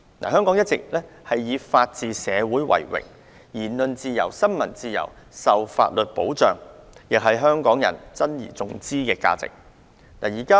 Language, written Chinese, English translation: Cantonese, 香港一直以作為法治社會為榮；言論自由、新聞自由均受法律保障，亦是港人珍而重之的價值。, Hong Kong always takes pride in its rule of law . Hong Kong people also treasure our freedom of speech and freedom of the press which are protected under the law